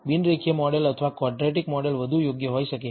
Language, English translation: Gujarati, A non linear model or a quadratic model may be a better fit